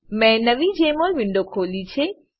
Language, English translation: Gujarati, Here I have opened a new Jmol window